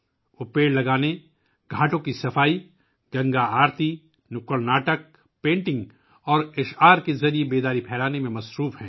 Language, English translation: Urdu, They are engaged in spreading awareness through planting trees, cleaning ghats, Ganga Aarti, street plays, painting and poems